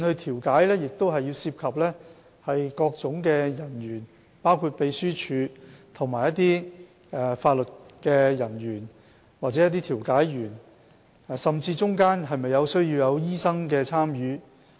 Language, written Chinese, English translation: Cantonese, 調解會涉及各種人員，包括秘書處人員、法律人員及調解員，甚至是否需要醫生參與。, Mediation will involve various kinds of personnel including the Secretariat staff legal officers and mediators and it may even need doctors participation